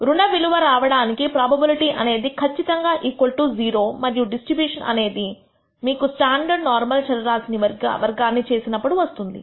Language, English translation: Telugu, The probability to have negative values is defined to be exactly equal to 0 and it turns out that this distribution arises when you square a standard normal variable